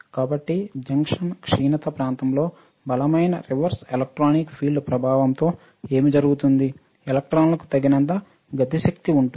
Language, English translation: Telugu, So, what happens under the influence of strong reverse electric field with the junction depletion region, electrons have enough kinetic energy